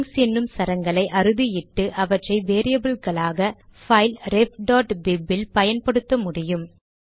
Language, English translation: Tamil, It is possible to define strings and use them as variables in the file ref.bib